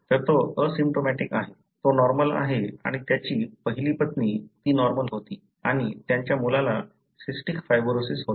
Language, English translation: Marathi, So, he is asymptomatic, he is normal and his first wife, she was normal and their son had cystic fibrosis